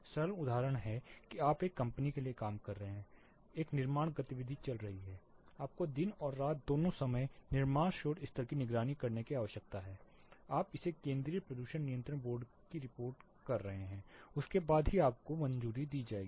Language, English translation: Hindi, Simple example is you are working for a company there is a construction activity going on, you need to monitor the construction noise level both day time and night time, you are report it to central pollution control board only then you will be given clearance for your construction